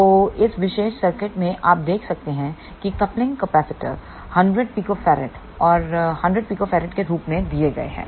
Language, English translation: Hindi, So, in this particular circuit you can see the coupling capacitors are given as 100 picofarad and 100 picofarad